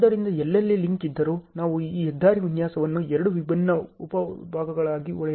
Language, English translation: Kannada, So, wherever there is a link, we are going to break down this the highway design in two different sub parts